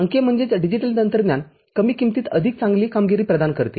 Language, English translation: Marathi, The digital technology provides better performance at the lower cost